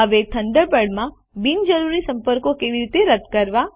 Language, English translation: Gujarati, Now, how can we delete unwanted contacts in Thunderbird